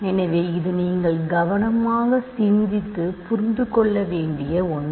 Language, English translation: Tamil, So, this is something that you have to carefully think about and understand